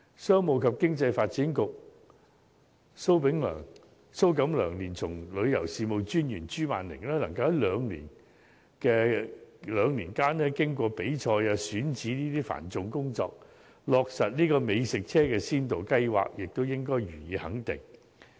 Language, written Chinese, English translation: Cantonese, 商務及經濟發展局局長蘇錦樑連同旅遊事務專員朱曼鈴能夠在兩年間經過比賽及選址等繁重工作，落實美食車先導計劃，也應予以肯定。, After getting through the heavy workload of screening operators and selecting locations for the scheme Secretary for Commerce and Economic Development Gregory SO and Commissioner for Tourism Cathy CHU have been able to launch the Food Truck Pilot Scheme with two years